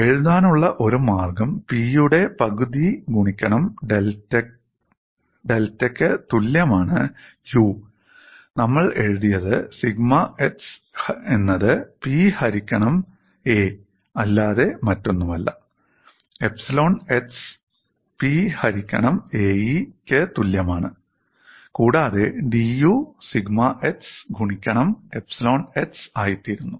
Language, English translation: Malayalam, One way of writing is U equal to one half of P into delta, we have written sigma x is nothing but P by A, epsilon x is equal to P by A E, and d U becomes, we have already seen sigma x into epsilon x is the way that we have looked at